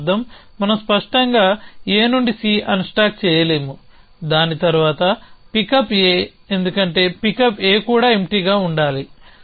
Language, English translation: Telugu, So, which means we obviously cannot do unstack C from A followed by pick up A, because pick up A also needs arm to be empty